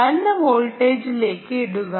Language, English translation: Malayalam, put it to lower voltage